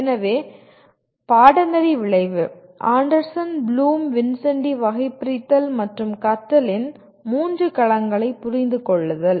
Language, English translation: Tamil, So the course outcome is: Understand Anderson Bloom Vincenti Taxonomy and the three domains of learning